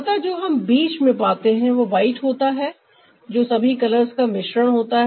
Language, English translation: Hindi, so what we get in between is the white, which is a mixture of all color